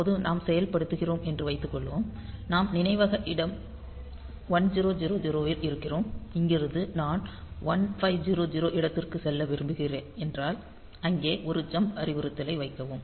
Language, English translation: Tamil, Like say suppose at present we are executing; we are at location memory location 1000 and there I am putting; from here I want to go to the location 1500; put a jump instruction there